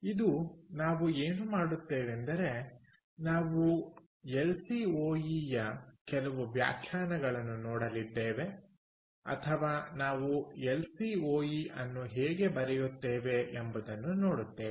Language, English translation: Kannada, so today what we will do is we are going to look at some of the definitions of or how do we write lcoe